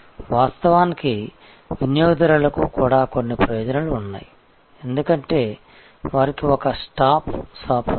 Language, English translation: Telugu, And of course, the customers also have some benefits, because they have one stop shop